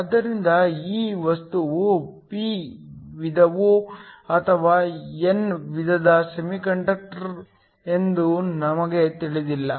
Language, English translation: Kannada, So, We do not know if this material is a p type or an n type semiconductor